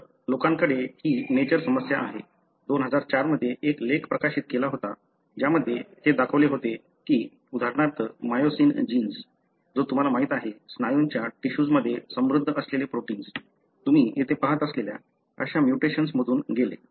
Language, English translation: Marathi, So, people have this Nature issue, in 2004 carried an article, which showed how for example, myosin gene, the one that you know, protein that is rich in the muscle tissue undergone a mutation like what you see here